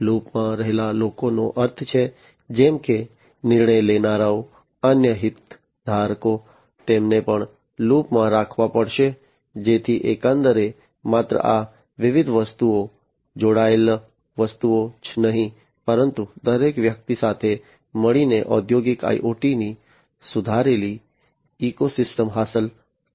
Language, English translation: Gujarati, People in the loop means, like decision makers, different other stakeholders, they will be also have to be kept in loop, so that overall not only these different objects, the connected objects, but everybody together will be achieving the improved ecosystem of industrial IoT